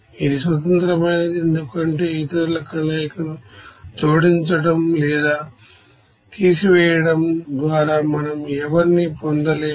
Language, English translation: Telugu, Which is independent because we cannot derive anyone by adding or subtracting combinations of the others